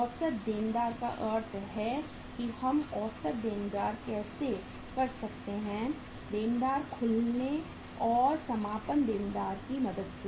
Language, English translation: Hindi, Average debtors means how we can calculate the average debtors, opening debtors and closing debtors